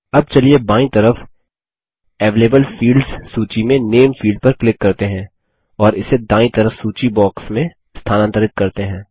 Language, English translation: Hindi, Now, let us double click on the Name field in the Available fields list on the left and move it to the list box on the right